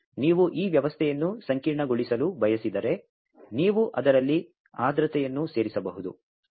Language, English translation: Kannada, And if you want to make this system complicated, then you can add humidity into it